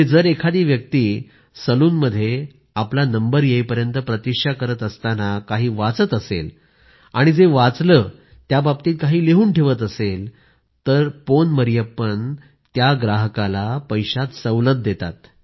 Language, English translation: Marathi, If a customer, while waiting for his turn, reads something from the library and writes on that, Pon Marriyappan, offers him a discount…